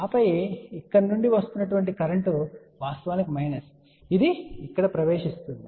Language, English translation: Telugu, And then the current which is leaving here which was actually minus which will act as a entering here